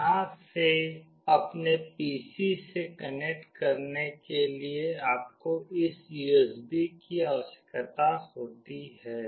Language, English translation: Hindi, For connecting from here to your PC you require this USB